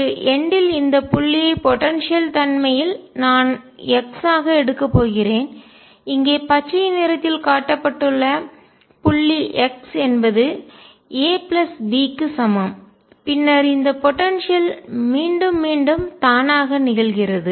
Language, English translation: Tamil, This point at one edge of the potentially I am going to take as x, the point here shown by green is x equals a plus b and then the potential repeat itself